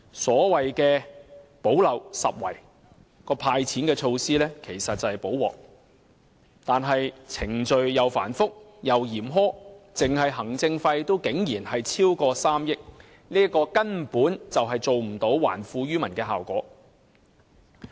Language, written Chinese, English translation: Cantonese, 所謂"補漏拾遺"的"派錢"措施其實是"補鑊"，可是程序繁複又嚴苛，單是行政費也竟然超過3億元，根本做不到還富於民的效果。, The so - called gap - plugging measure to hand out money is actually a remedial measure yet the procedures are very complicated and harsh . Just the administration costs alone will amount to over 300 million so the objective of returning wealth to the people cannot be achieved at all